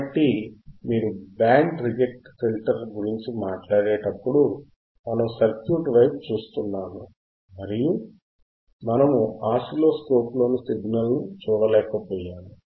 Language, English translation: Telugu, So, when you talk about band reject filter, right we were looking at the circuit and we were not able to see the signal in the oscilloscope right